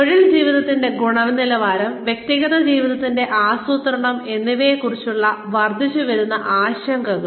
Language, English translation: Malayalam, Rising concerns for, quality of work life, and for personal life planning